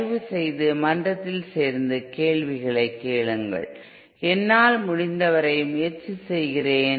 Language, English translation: Tamil, Please join the forum and ask in question, I will try as much as I can